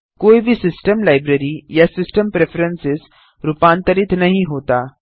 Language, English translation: Hindi, No system library or system preferences are altered